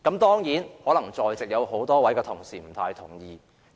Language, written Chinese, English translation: Cantonese, 當然，可能在席多位同事不太同意這個說法。, Many Members here may certainly disagree with this argument